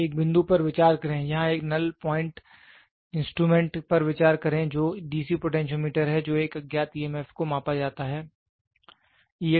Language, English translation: Hindi, So, consider a point, consider here a null point instrument that is the DC potentiometer which is an unknown emf E x is measured